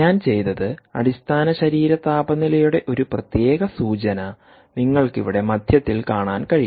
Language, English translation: Malayalam, there is a particular indication of the core body temperature here in the middle one